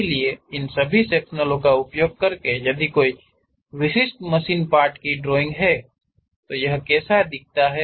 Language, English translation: Hindi, So, using all these sectional representation; if there is a drawing of typical machine element, how it looks like